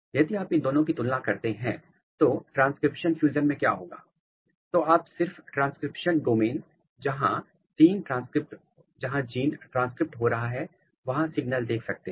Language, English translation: Hindi, And, if you compare these two things what happens in the transcriptional fusion where just the transcriptional domain where the gene is getting transcribed you can see this is the root tip